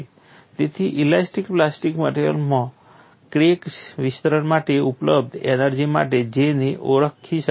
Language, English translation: Gujarati, Hence J cannot be identified with the energy available for crack extension in elastic plastic materials